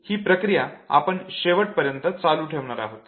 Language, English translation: Marathi, That exercise we will continue doing till the end